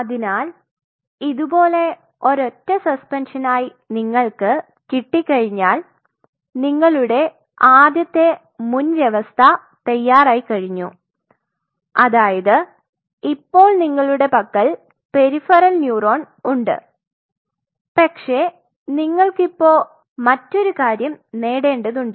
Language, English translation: Malayalam, So, once you get at this kind of single suspension you have your first set of prerequisite ready that is you have the peripheral neuron at your disposal, but now you want to achieve another thing